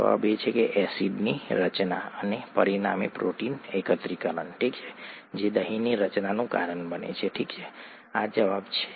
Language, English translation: Gujarati, The answer is acid formation and consequent protein aggregation, is what causes curd formation, okay, this is the answer